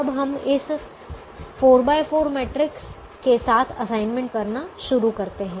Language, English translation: Hindi, now we start making an assignment with this four by four matrix